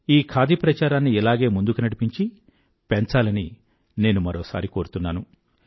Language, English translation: Telugu, I once again urge that we should try and take forward the Khadi movement